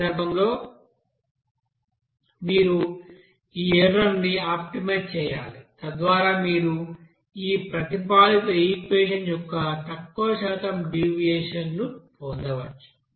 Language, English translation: Telugu, So in that case, you know that you have to optimize this error so that you can get that less percentage of you know deviation of this experimental this proposed equation